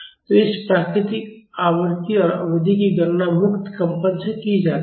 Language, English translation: Hindi, So, this natural frequency and period are calculated from free vibrations